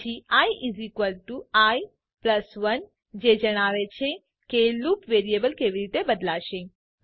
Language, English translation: Gujarati, Then i= i+1 , states how the loop variable is going to change